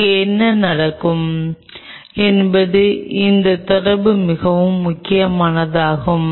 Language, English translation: Tamil, This interaction what will be happening here is very critical